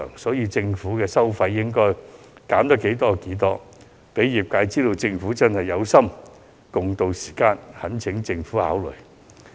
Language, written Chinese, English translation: Cantonese, 因此，政府收費應該盡量寬減，好讓業界知道政府真的有心共渡時艱，我懇請政府考慮。, Therefore the Government should offer as many fee concessions as possible to demonstrate its wholehearted support to the trade to tide over the rough times